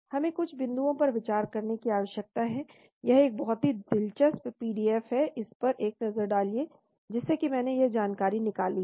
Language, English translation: Hindi, We need to consider some points this is a very interesting PDF have a look at it, from which I took out this information